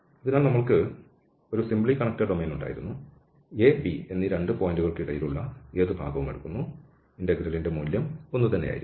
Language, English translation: Malayalam, So, we have simply connected domain and you take any, any part between the 2 points A and B, that value of the integral will be the same